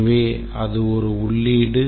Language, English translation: Tamil, So, that is the input